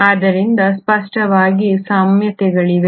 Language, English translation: Kannada, So clearly there are similarities